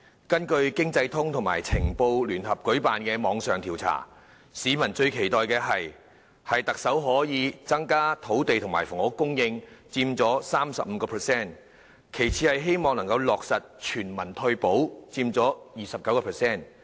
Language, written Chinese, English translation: Cantonese, 經濟通及《晴報》聯合舉辦的網上調查發現，市民最期待特首可增加土地及房屋供應，佔受訪者 35%； 其次是希望落實全民退保，佔 29%。, As revealed by an online poll jointly conducted by ET Net and Sky Post peoples greatest hope is that the Chief Executive can increase land and housing supply . This hope is held by 35 % of the respondents . This is followed by the hope that universal retirement protection can be implemented